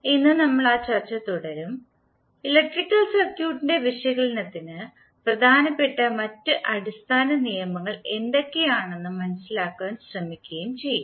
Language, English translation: Malayalam, Now today we will continue our that discussion and try to see what are other basic laws which are important for the analysis of electrical circuit